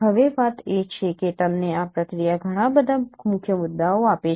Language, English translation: Gujarati, Now the thing is that what you get out of this process that you get a lot of key points